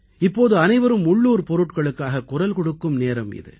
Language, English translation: Tamil, For everybody it is the time to get vocal for local toys